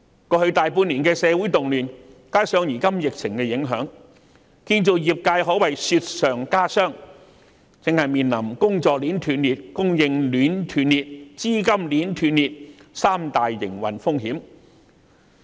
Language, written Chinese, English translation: Cantonese, 過去大半年的社會動亂，加上如今疫情的影響，建造業界可謂雪上加霜，正面臨工作鏈斷裂、供應鏈斷裂及資金鏈斷裂這三大營運風險。, The social unrest in the past six months or so added with the impact of the current epidemic have made the matter a lot worse for the construction sector . The sector is facing the interruption of the work chain supply chain and capital chain which are the three major operational risks